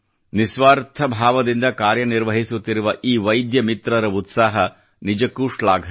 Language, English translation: Kannada, The dedication of these doctor friends engaged in selfless service is truly worthy of praise